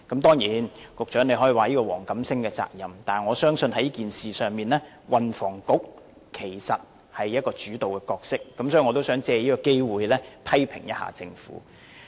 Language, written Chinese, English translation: Cantonese, 當然，局長可以說這是黃錦星的責任，但在此事上，我相信是運輸及房屋局作主導，因此我想藉此機會，批評一下政府。, Of course the Secretary may say that this is the responsibility of WONG Kam - sing but I believe the Bureau has a leading role in this matter . So I wish to take this opportunity to criticize the Government